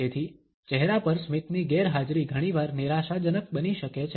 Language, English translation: Gujarati, So, the absence of a smile on a face can often be disconcerting